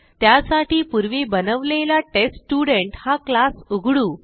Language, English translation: Marathi, For that, let us open the TestStudent class which we had already created